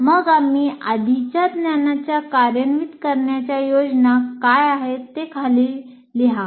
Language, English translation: Marathi, Then we write below what are the activities that I am planning for activation of the prior knowledge